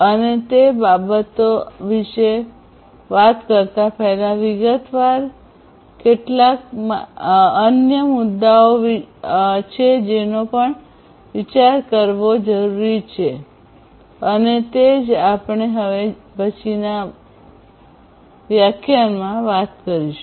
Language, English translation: Gujarati, And before you know we talk about those things in detail, there are a few other issues that also need to be considered and that is what we are going to talk about in the next lecture